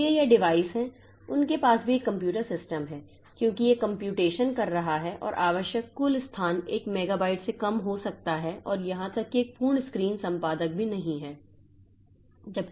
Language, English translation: Hindi, So, these devices, so they have, that is also a computer system because that is doing the computation and the total space needed may be less than a megabyte and even a full screen editor is also not there